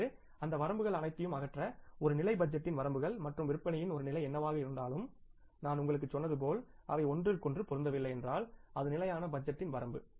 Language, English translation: Tamil, Now to remove all those limitations as I told you that whatever the limitations of the one level of budgeting and the one level of the sales if they do not match with each other that is a limitation of the static budget